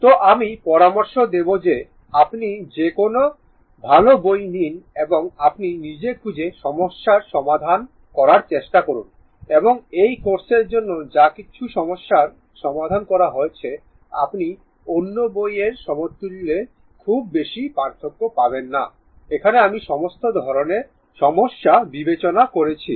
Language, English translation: Bengali, So, I will suggest that you open any good book and try to solve some try to solve some problem of your own, and whatever problem had been solved for this course I mean you will not find much difference in others, I mean all varieties of problem have been considered right